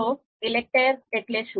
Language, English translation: Gujarati, So what we mean by ELECTRE